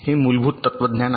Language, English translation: Marathi, this is the basic philosophy